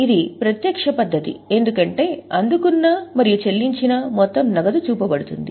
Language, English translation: Telugu, This is a direct method because the total amount of cash received and paid is shown